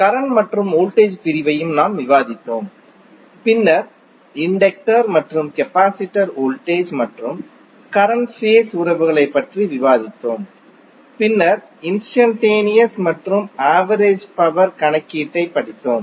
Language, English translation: Tamil, We also discussed current and voltage division then we discussed voltage and current phase relationships for inductor and capacitor and then we studied the instantaneous and average power calculation